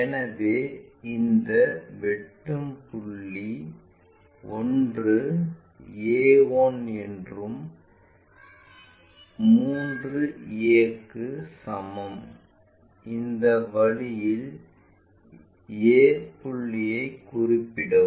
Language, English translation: Tamil, So, this intersecting point 1 a 1 is equal to 3a in such a way that we locate this point a